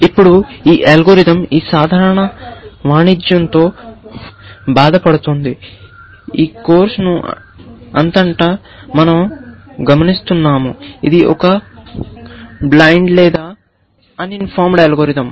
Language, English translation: Telugu, Now, this algorithm suffers from this common trade that we have been observing throughout this course, which is that it is a blind or uninformed algorithm